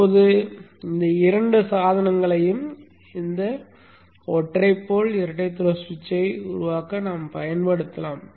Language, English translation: Tamil, Now these two devices can be used to make up this single pole double throw switch